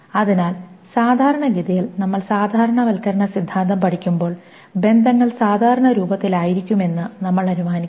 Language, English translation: Malayalam, So generally when we study normalization theory we will just assume that relations to be in normal form